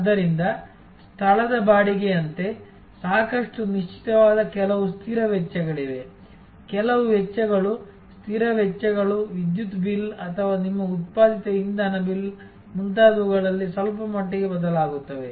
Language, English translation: Kannada, So, there are therefore, some fixed cost which are quite fixed like the rental of the place, some costs are, fixed costs are somewhat fixed somewhat variable like the electricity bill or your generated fuel bill and so on